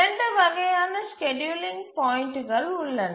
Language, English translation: Tamil, There are two types of scheduling points